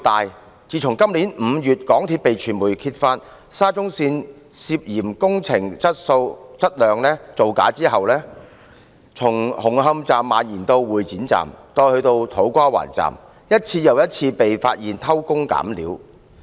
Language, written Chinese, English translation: Cantonese, 自從港鐵公司在今年5月被傳媒揭發沙中線工程質量涉嫌造假後，事件從紅磡站蔓延至會展站，以至土瓜灣站，一次又一次被發現偷工減料。, Since the media exposed MTRCLs alleged fabrication of the quality of the SCL Project in May this year the incident has sprawled from the Hung Hom Station to the Exhibition Centre Station and even the To Kwa Wan Station . Jerry - building practices have been discovered one after another